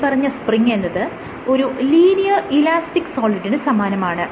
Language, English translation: Malayalam, Spring is an example of what we call as a linear elastic solid